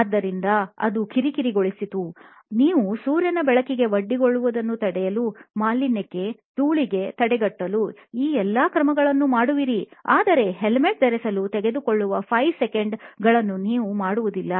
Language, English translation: Kannada, So, to me that was bugging that you take all these steps to prevent your exposure to sunlight, to pollution, to dust and what not but you do not take the basic 5 seconds it takes to wear a helmet